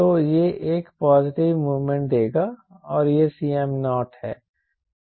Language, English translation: Hindi, so it will give us positive moment and this is c m naught